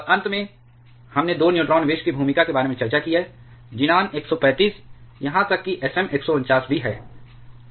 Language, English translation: Hindi, And finally, we have discussed about the role of 2 neutron poisons, xenon 135 even Sm 149